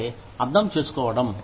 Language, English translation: Telugu, Which means, to understand